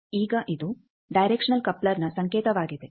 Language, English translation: Kannada, Now, this is the symbol of directional coupler